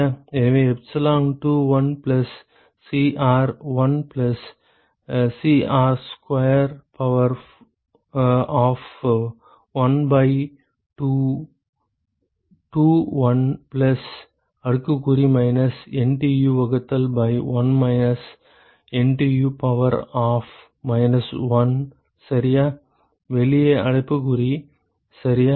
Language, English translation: Tamil, So, epsilon will be 2 1 plus Cr plus 1 plus Cr square to the power of 1 by 2, 2 1 plus exponential of minus NTU divided by 1 minus NTU to the power of minus 1 ok, bracket outside, ok